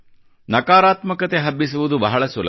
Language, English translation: Kannada, Spreading negativity is fairly easy